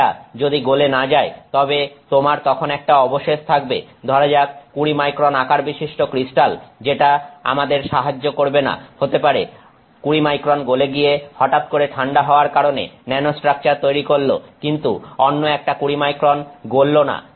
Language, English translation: Bengali, If it does not melt then you will still have a residual say 20 micron crystal size which does not help us, maybe 20 microns melts 20 micron and becomes nanostructure because of the sudden cooling, but the other 20 microns has not melted